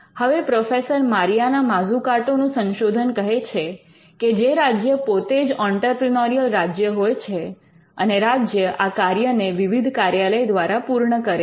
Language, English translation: Gujarati, Now, the theme of professor Mariana Mazzucatos research is that the state itself is an entrepreneurial state and the state predominantly does this function without many offices realizing it